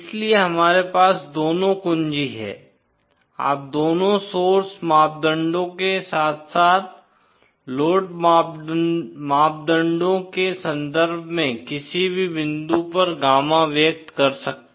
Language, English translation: Hindi, So we have both key, you can express gamma at any point in terms of both the source parameters as well as the load parameters